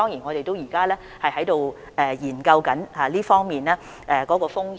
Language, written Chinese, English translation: Cantonese, 我們現時正在研究這方面的風險。, We are now looking into the risks in this respect